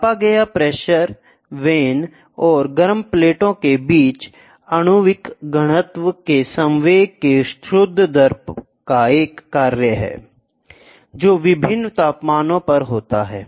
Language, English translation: Hindi, The pressure measured is a function of a net rate of exchange of momentum of molecular density, between the vanes and the hot plates, which are at different temperatures